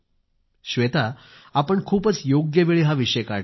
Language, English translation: Marathi, Shveta ji, you have raised this issue at an opportune time